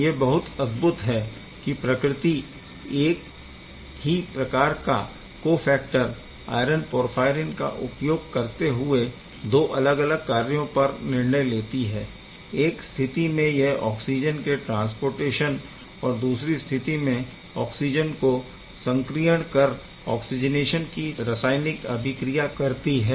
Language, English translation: Hindi, So, this is quite amazing by utilizing the same cofactor iron porphyrin nature has decided to do completely different function in one case it is transporting oxygen in another case it is making the oxygen reactive to do the oxygenation chemistry